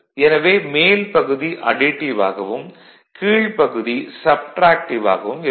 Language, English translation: Tamil, So, this upper side it is actually additive, and the lower side it is subtractive